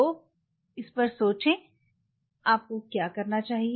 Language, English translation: Hindi, So, think over it what all you needed